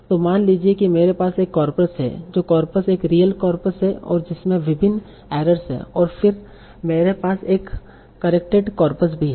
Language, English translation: Hindi, So suppose I have a corpus that is corpus, this is a real corpus and that contains various errors